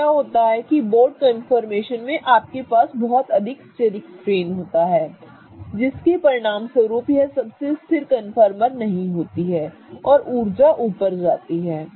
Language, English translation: Hindi, So, what happens is that in the boat you have a lot of steric strain as a result of which boat is not really the most stable conformer and the energy goes up